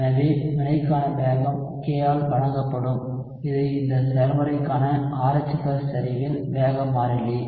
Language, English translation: Tamil, So the rate for the reaction would be given by k which is the rate constant for this process into concentration of RH+ right